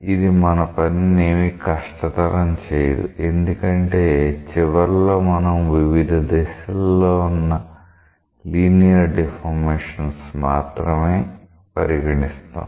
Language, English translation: Telugu, But that will not make the thing more complicated because at the end, we will be dealing with linear deformations in individual directions